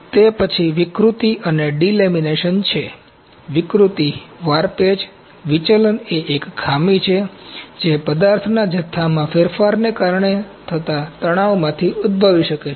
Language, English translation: Gujarati, Then is distortion and delamination, distortion, warpage, deflection is a defect that can originate from the stresses caused by changes in material volume